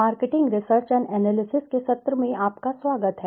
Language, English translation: Hindi, Welcome everyone to the session of marketing research and analysis